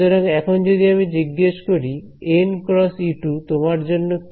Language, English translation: Bengali, So, if I asked you observe what is n cross E 2 for you